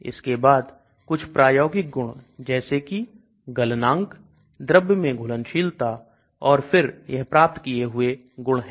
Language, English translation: Hindi, Then some experimental properties melting point, water solubility, and then these are predicted property